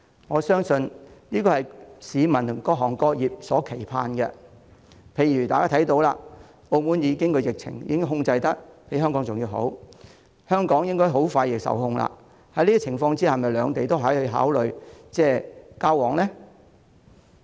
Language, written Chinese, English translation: Cantonese, 我相信這是市民及各行各業所期盼的事，例如大家看到澳門的疫情比香港更為受控，而香港的疫情亦應該快將受控，在這種情況下，兩地可否考慮恢復交通往來呢？, I believe it is the collective wish of members of the public and various sectors and industries . For instance we see that the epidemic is more under control in Macao than Hong Kong and the epidemic in Hong Kong will probably come under control soon . Under such circumstances can we consider resuming traffic between both places?